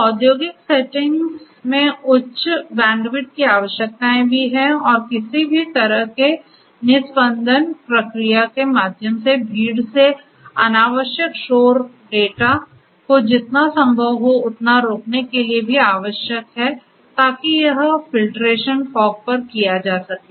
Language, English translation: Hindi, So, high bandwidth requirements are also there in the industrial settings and also it is required to prevent as much as possible the unnecessary noisy data from the crowd through some kind of a filtration process so this filtration can also be done at the fog